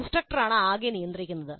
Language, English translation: Malayalam, The instructor is in total control